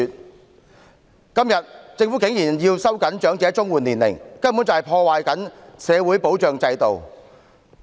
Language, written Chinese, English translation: Cantonese, 政府今天竟然要收緊長者綜援年齡，根本是破壞社會保障制度。, By actually tightening the eligibility age for elderly CSSA the Government is basically undermining the social security system